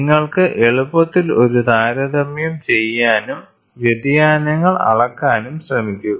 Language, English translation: Malayalam, So, you can you easily do comparison and try to also measure the deviations